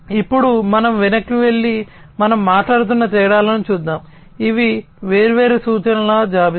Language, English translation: Telugu, Now, let us go back and look at the differences that we were talking about, these are the list of different references